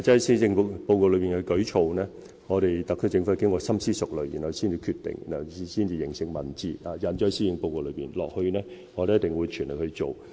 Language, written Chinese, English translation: Cantonese, 施政報告內的舉措是特區政府經深思熟慮才決定的，繼而化成文字，印載於施政報告內，接下來我們一定會盡全力完成。, The initiatives in the Policy Address had been carefully considered by the SAR Government before they were decided upon . They were then put down in writing and included in the Policy Address . Going forward we will definitely do our level best to accomplish them